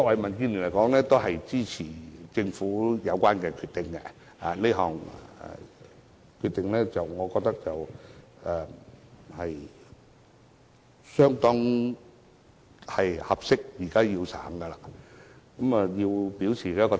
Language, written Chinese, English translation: Cantonese, 民建聯支持政府作出的有關決定，我也認為這是恰當的決定，現在應予實行，我想就此表態。, DAB supports the relevant decision made by the Government . I also hold that this is an appropriate decision and should be implemented now . This is the position I wish to state